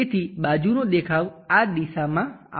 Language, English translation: Gujarati, So, the side view would have come in this direction